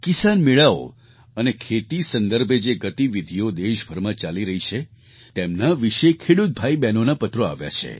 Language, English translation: Gujarati, Our farmer brothers & sisters have written on Kisan Melas, Farmer Carnivals and activities revolving around farming, being held across the country